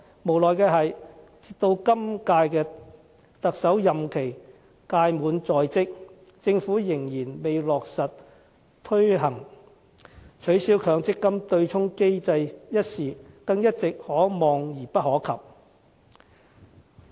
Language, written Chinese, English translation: Cantonese, 無奈的是，直到今屆特首任期屆滿在即，政府仍然未落實推行，取消強積金對沖機制一事一直可望而不可及。, It is a pity that even when the term of the incumbent Chief Executive is already coming to an end the Government has still failed to take any concrete actions and the abolition of the offsetting arrangement has remained an elusive goal